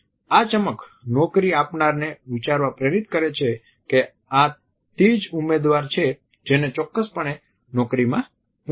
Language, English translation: Gujarati, This is sparkle inspires the employer who may think that here is a candidate who is definitely interested in the position